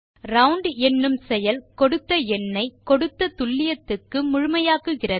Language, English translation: Tamil, A function round, rounds a number to a given precision